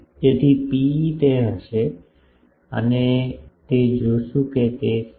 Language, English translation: Gujarati, So, rho e will be we will see that it will be 6